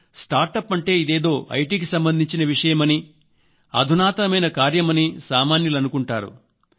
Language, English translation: Telugu, There is a misconception among the people that startup means IT related talks, very sophisticated business